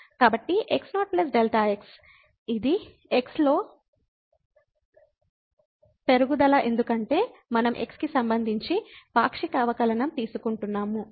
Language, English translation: Telugu, So, plus delta ; this is the increment in because we are taking partial derivative with respect to x